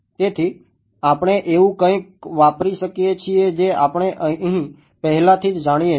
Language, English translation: Gujarati, So, we can use something that we already know towards over here ok